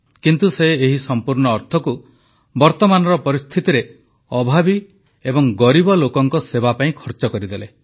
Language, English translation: Odia, But he spent the entire amount in the service of the needy and the underprivileged in these difficult times